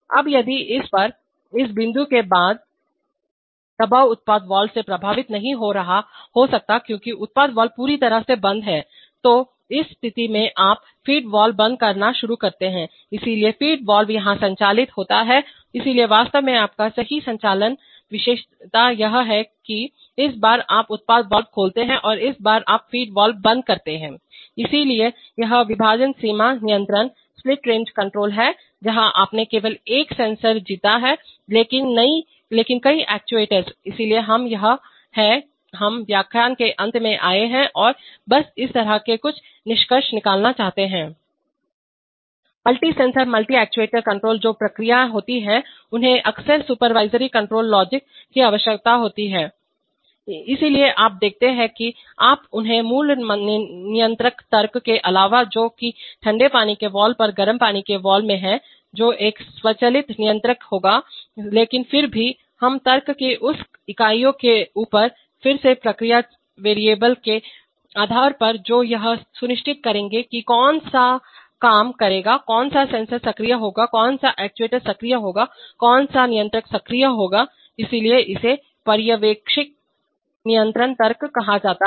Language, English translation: Hindi, Now if, at this, after this point the pressure cannot be affected by the product valve because the product valve is fully closed, so in that situation you start closing the feed valve, so the feed valve is operated here, so actually your true operating characteristic is, this time you open product valve and this time you close feed valve, so this is split range control, where you have won only one sensor but many actuators, so we, this is, we have come to the end of the lecture and just want to have some concluding remarks firstly on this kind of this, Multi sensor multi actuator control which is processes often need supervisory control logic, so you see that, you, apart from your basic control logic which is there in the either in the hot water valve on the cold water valve that will be an automatic controller but even we, we, above that units of logic, based on again process variables which will ensure which one will be working, which sensor will be active, which actuator will be active, which controller will be active, so this is called supervisory control logic